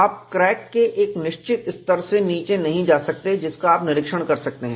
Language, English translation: Hindi, You cannot go below a certain level of the crack that you can inspect